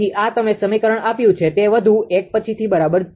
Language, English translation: Gujarati, So, this is you have given equation 1 much more will see later, right